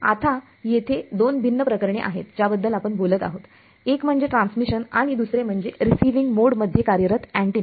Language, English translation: Marathi, Now, there are two different cases that we will talk about: one is transmission and the other is the antenna operating in receiving mode